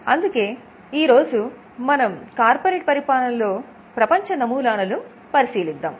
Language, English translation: Telugu, Now we look at the corporate governance model in India